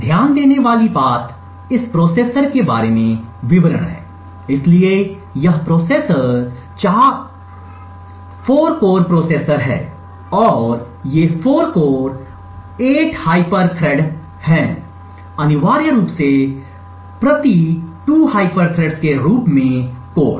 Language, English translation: Hindi, The 1st thing to note is details about this processor, so this processor is 4 cores processor and these 4 cores there are 8 hyper threats, essentially per core as 2 hyper threads